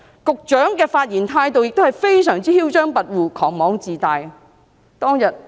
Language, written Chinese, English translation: Cantonese, 局長的發言態度非常囂張跋扈、狂妄自大。, When the Secretary spoke he was very haughty arrogant and self - conceited